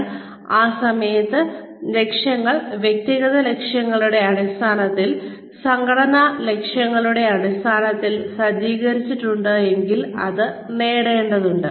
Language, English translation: Malayalam, So, at that point of time, if the goals are set, in terms of personal goals, and in terms of the organizational goals, that need to be achieved